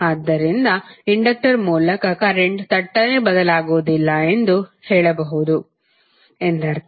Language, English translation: Kannada, So it means that you can say that current through an inductor cannot change abruptly